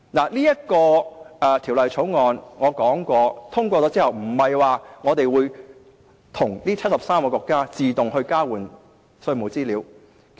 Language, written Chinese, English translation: Cantonese, 我剛才提到，《條例草案》獲得通過，並不代表我們會與73個國家自動交換稅務資料。, As I have just said the passage of the Bill does not mean that we will automatically exchange tax information with 73 countries